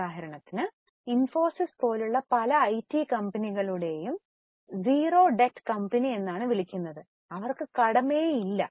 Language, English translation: Malayalam, For example many IT companies like Infocis in fact are called a zero debt company